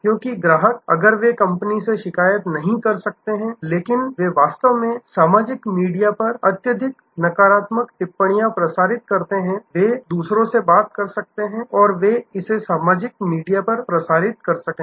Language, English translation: Hindi, Because the customers, if they may not complaint to the company, but they may actually post highly negative comments on the social media, they may talk to others and they may post it on the social media